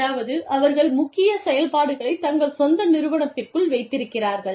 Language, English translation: Tamil, Which means, they keep the main operations, within their own organization